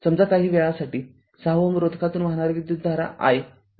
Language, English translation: Marathi, Say for the time being, our interest is current through 6 ohm resistance say your this i